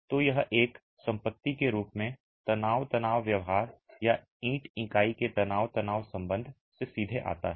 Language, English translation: Hindi, Of course, so this as far as property comes directly from the stress strain behavior or the stress strain relationship of the brick unit